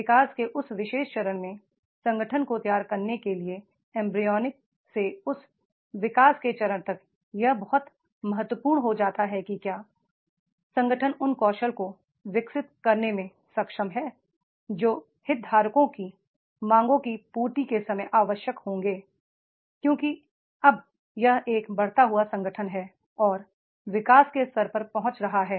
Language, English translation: Hindi, To make the ready the organization at that particular stage of the growth, from embryonic to that growth stage it becomes very important that is the organizations are able to develop those competencies which will be required at the time of the fulfillment of the demands of the stakeholders because now it is a growing organization and reaching to the growth stage